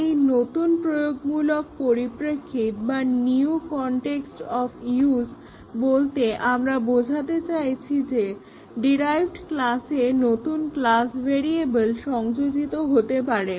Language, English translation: Bengali, By the term the new context of use, what we mean is that there can be new class variables introduced in the derived class